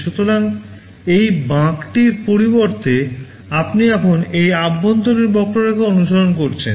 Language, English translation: Bengali, So, instead of this curve, you are now following this inner curve